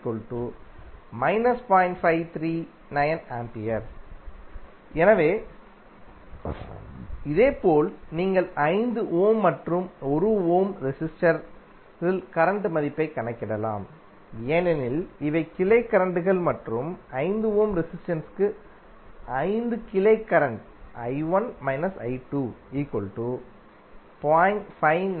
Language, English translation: Tamil, So similarly you can calculate the value of current in 5 ohm and 1 ohm resistor because these are the branch currents and 5 for 5 ohm resistance the branch current would be I1 minus I2